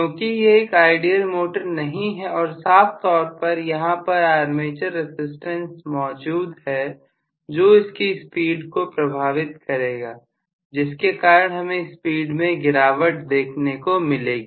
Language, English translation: Hindi, But it is not an ideal motor clearly there is an armature resistance which is going to take a toll on the overall speed because of which I am going to have a drop in the speed